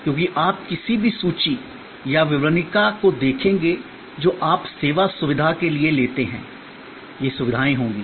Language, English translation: Hindi, This as you will see any catalog or brochure that you take of a service facility, these will be the features